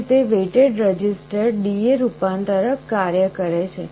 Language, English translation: Gujarati, This is how the weighted register D/A converter works